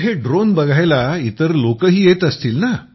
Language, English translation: Marathi, So other people would also be coming over to see this drone